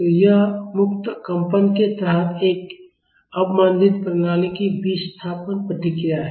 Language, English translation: Hindi, So, this is the displacement response of an under damped system under free vibration